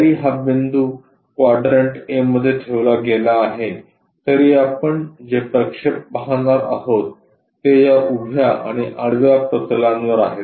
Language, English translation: Marathi, Though it is placed in quadrant A this point, the projections what we are going to see is on this vertical plane and on that horizontal plane